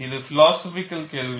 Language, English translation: Tamil, It is a philosophical question